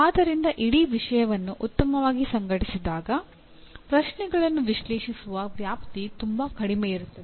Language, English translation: Kannada, So when the whole subject is very well organized the scope for analyze questions will be lot less